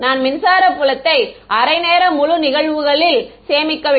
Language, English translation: Tamil, I am not storing electric field at half time integer instances